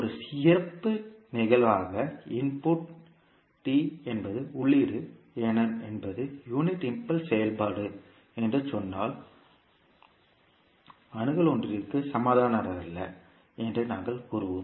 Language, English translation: Tamil, As a special case if we say that xd that is the input is unit impulse function, we will say that access is nothing but equal to one